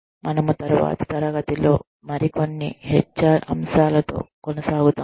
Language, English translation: Telugu, We will continue with, some more HR discussion, in the next class